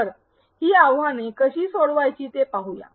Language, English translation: Marathi, So, now, let us try to see how to address these challenges